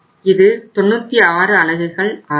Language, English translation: Tamil, So this will become 96 units